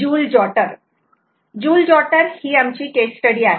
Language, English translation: Marathi, joule jotter is our case study